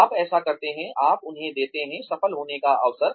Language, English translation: Hindi, You do that, you give them, opportunity to succeed